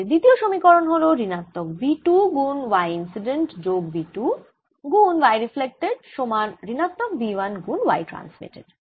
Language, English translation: Bengali, equation one: minus v two: y incident plus v two y reflected is equal to minus v one y transmitted